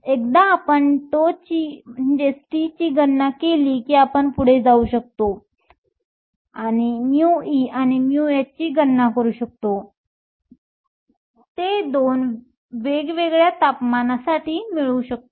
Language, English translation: Marathi, Once we calculate tau, we can go ahead and calculate mu e and mu h and get it for the 2 different temperatures